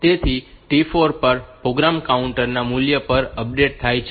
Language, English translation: Gujarati, So, at T 4 the program counter value is also updated